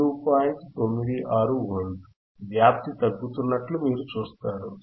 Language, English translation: Telugu, 96 Volts, you see the amplitude is decreasing